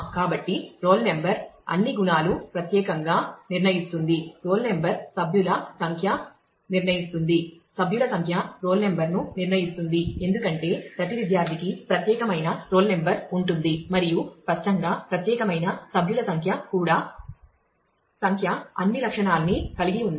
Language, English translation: Telugu, So, roll number determines all the; attributes specifically roll number also determines the member number and member number determines the roll number, because every student has a unique roll number and; obviously, has a unique member number also number will determine rest of the all attrib